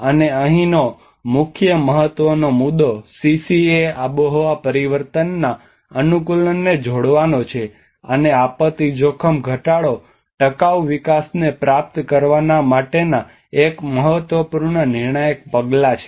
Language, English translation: Gujarati, And the main important point here is linking the CCA climate change adaptation, and the disaster risk reduction is one of the important crucial steps to achieve the sustainable development